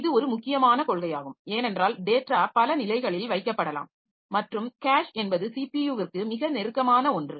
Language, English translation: Tamil, So, this is important principle because data may be kept at several levels and cache is something that is closest to the CPU